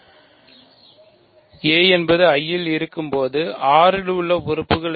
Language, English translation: Tamil, What are elements in R such that a is in I